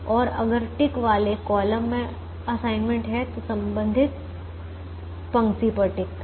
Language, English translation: Hindi, and if a ticked column has an assignment, tick the corresponding row